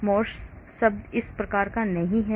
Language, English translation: Hindi, Morse term not this type of term